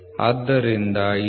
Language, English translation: Kannada, So, the L